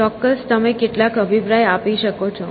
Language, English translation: Gujarati, Surely you can have some opinion